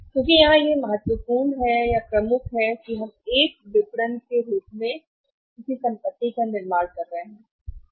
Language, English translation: Hindi, Because here is it important to; major is we are running into is let us say building as a marketing assets